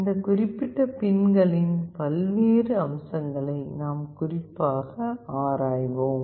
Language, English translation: Tamil, We will be specifically looking into the various aspects of these particular pins